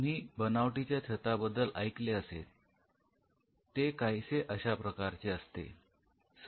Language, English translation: Marathi, So, you all have heard about a false roof it is something like